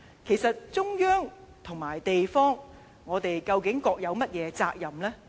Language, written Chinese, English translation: Cantonese, 其實中央與地方究竟各有甚麼責任呢？, So what kinds of responsibilities do the Central Authorities and a local city respectively have?